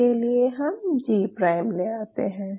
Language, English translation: Hindi, So, what I do I put a G prime